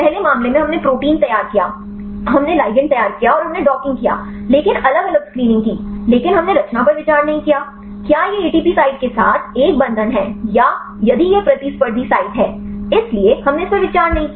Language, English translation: Hindi, In the first case, we prepared the protein, we prepared the ligand and we did the docking, but different screening, but we did not consider the conformation; whether it this is a binds with the ATP site or if it is the competitive site; so, we did not consider that